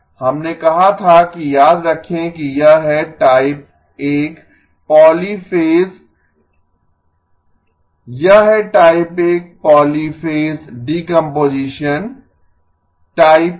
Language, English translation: Hindi, We said that remember that this is type 1 polyphase, this is type 1 polyphase decomposition type 1